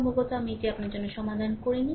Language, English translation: Bengali, Probably, I have not solve it for you